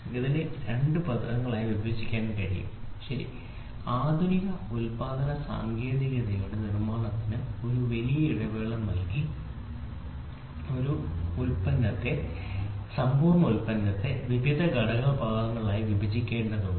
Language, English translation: Malayalam, So, this can be split into 2 words inter and changeability, ok, this concept gave me gave manufacturing a big break through modern production technique require that a complete product be broken into various component parts